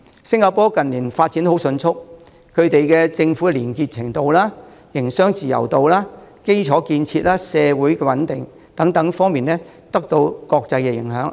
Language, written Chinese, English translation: Cantonese, 新加坡近年發展十分迅速，政府的廉潔程度、營商自由度、基礎建設、社會穩定等方面均得到國際認可。, In recent years Singapore has been making rapid development and has gained international recognition in various aspects such as governments probity business freedom infrastructure and social stability